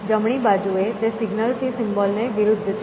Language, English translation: Gujarati, On the right hand side, it is the opposite from symbol to signal